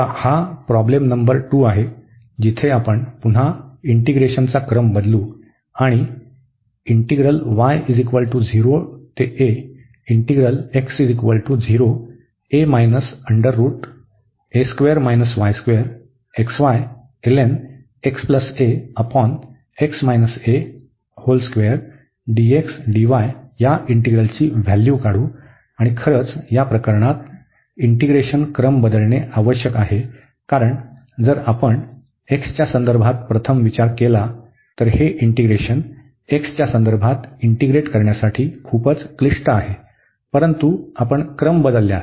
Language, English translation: Marathi, Now, this is problem number 2, where we will again change the order of integration and evaluate and indeed in this case change of order of integration is necessary because if we just considered first with respect to x, this integrand is pretty complicated for integrating with respect to x, but if you change the order